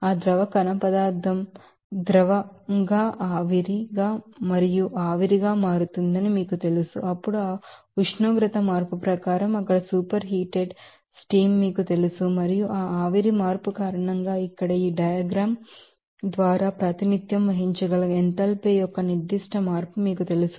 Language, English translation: Telugu, So, accordingly that liquid solid will be you know that are solid will be converting to liquid liquid to vapor and vapor then even higher you know superheated vapor there according to that temperature change and because of that vapour change, there will be you know certain change of enthalpy that can be represented by this diagram here